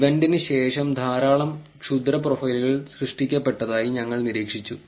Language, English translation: Malayalam, We observed that there are lot of malicious profiles created just after the event